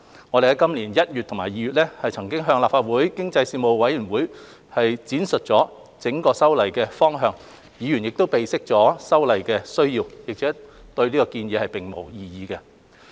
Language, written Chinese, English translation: Cantonese, 我們於今年1月及2月已向立法會經濟發展事務委員會闡述修例的整體方向，議員備悉修例的需要，對建議並無異議。, We briefed the Panel on Economic Development of the Legislative Council on the overall direction of the legislative amendment in January and February this year . Members noted the need for the amendment and raised no objection to the proposal